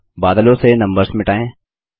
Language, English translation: Hindi, Next lets delete the numbers from the clouds